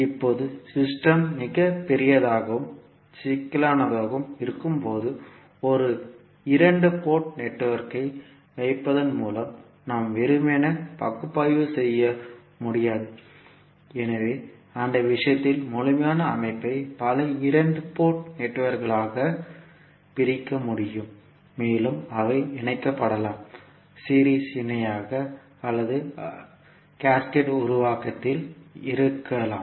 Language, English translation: Tamil, Now, when the system is very large and complex, we cannot analyse simply by putting one two port network, so in that case it is required that the complete system can be subdivided into multiple two port networks and those can be connected either in series, parallel or maybe in cascaded formation